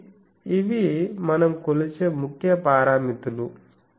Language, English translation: Telugu, So, these are fairly the main parameters that we measure